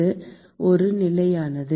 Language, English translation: Tamil, this remains a constant